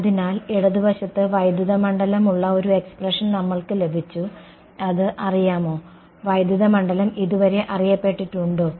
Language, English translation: Malayalam, So, we have got an expression where I have the electric field on the left hand side is it known; so far is the electric field known